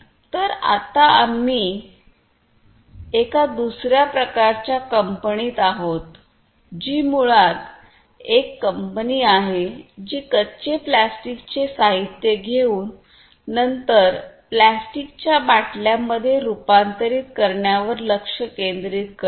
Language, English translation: Marathi, So, right now we are in another type of company which is basically a company which focuses on taking raw plastic materials and then converting them into plastic bottles